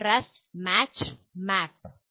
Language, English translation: Malayalam, Contrast, match and map